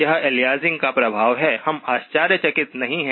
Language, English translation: Hindi, That is effect of aliasing, we are not surprised